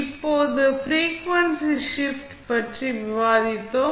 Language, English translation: Tamil, Now, then, we discuss about frequency shift